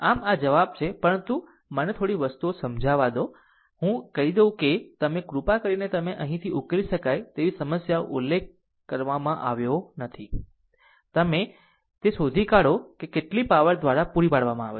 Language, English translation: Gujarati, So, this is the answer, but let me clean it one few things, I can tell that you, please solve it of your own here problem it is not ah mentioned, that you you are you find out ah you find out how much power is supplied by this current source and this current source